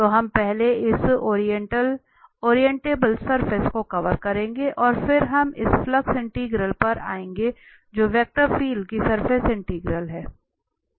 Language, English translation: Hindi, So, we will cover this orientable surfaces first and then we will come to this flux integrals, which is the surface integral of vector field